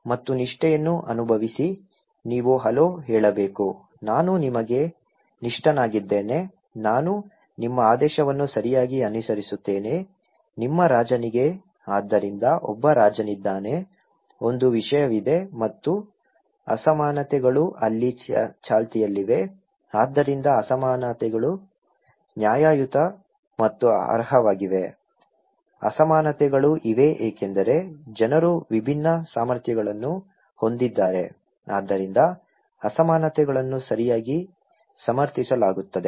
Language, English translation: Kannada, And feel loyalty, you have to say hello, I am loyal to you, I will follow your order okay, to your king; so there is a king, there is a subject and inequalities are prevailing there so, inequalities are fair and deserve, inequalities are there because people have different capacities, so that is why inequalities are justified okay